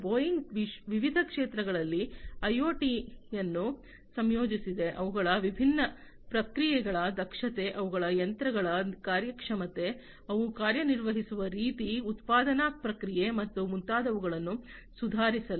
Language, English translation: Kannada, Boeing also has incorporated IoT in different sectors, for improving the efficiency of their different processes, the efficiency of their machines the way they operate, the, the production process, and so on